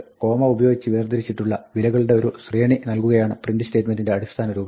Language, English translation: Malayalam, The basic form of the print statement is to give a sequence of values, separated by commas